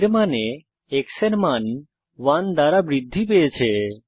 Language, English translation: Bengali, That means the variable x is increased by one